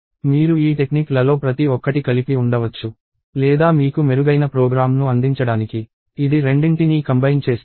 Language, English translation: Telugu, So, you can have this each of these techniques in place or it even combines them both to give you a better program